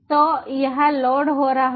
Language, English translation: Hindi, so it is running here